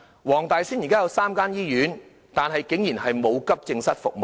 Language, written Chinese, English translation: Cantonese, 黃大仙區現時有3間醫院，但竟然都沒有提供急症室服務。, There are currently three hospitals in the Wong Tai Sin District but surprisingly none of them provide accident and emergency services